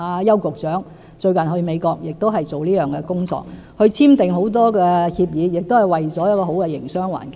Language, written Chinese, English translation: Cantonese, 邱局長最近前往美國亦是做這工作，簽訂了很多協議，也是為了締造好的營商環境。, Secretary Edward YAU has done the same in his recent visit to the United States signing a lot agreements for the creation of a better business environment